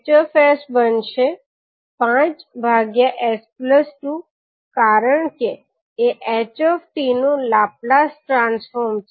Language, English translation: Gujarati, Hs can become five upon s plus two because it is Laplace transform of ht